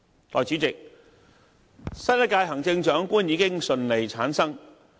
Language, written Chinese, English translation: Cantonese, 代理主席，新一屆行政長官已經順利產生。, Deputy President the new Chief Executive has been elected successfully